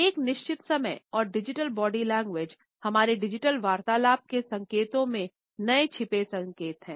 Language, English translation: Hindi, At a certain time and digital body language are the new hidden cues in signals in our digital conversations